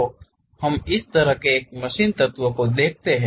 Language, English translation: Hindi, So, let us look at one such kind of machine element